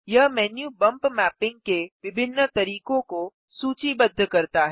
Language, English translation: Hindi, This menu lists the different methods of bump mapping